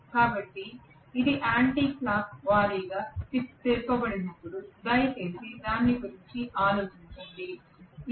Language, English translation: Telugu, So when it is rotated in anti clock wise direction please think about it